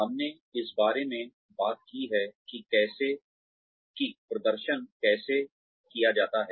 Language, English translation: Hindi, We have talked about, how performance appraisals are done